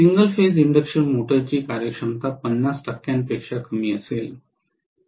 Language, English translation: Marathi, Most of the single phase induction motors will have less than 50 percent efficiency